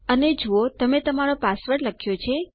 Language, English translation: Gujarati, and see you have typed your password